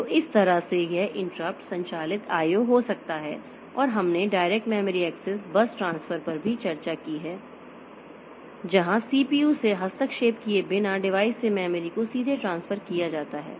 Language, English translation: Hindi, O can take place and we have also discussed the direct memory access base transfer where the transfer is made from the device to the memory directly without intervention of the CPU